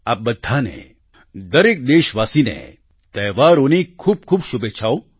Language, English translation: Gujarati, Wishing you all, every countryman the best for the fortcoming festivals